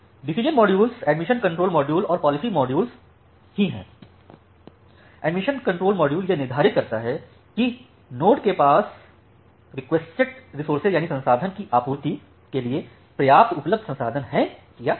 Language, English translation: Hindi, The decision modules are the admission control module and the policy control module; now the admission control module it determines whether the node has sufficient available resources to supply for the requested resources